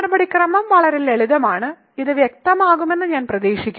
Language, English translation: Malayalam, So, I hope this is clear the procedure is just very simple